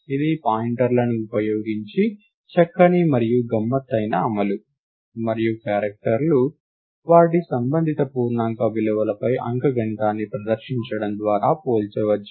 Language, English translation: Telugu, It is a nice and tricky implementation using pointers, and the fact that characters can be compared by performing arithmetic on their corresponding integer values